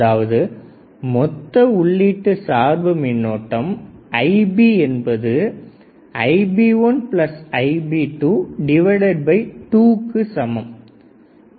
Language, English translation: Tamil, So, first one is input bias current Ib1 and Ib2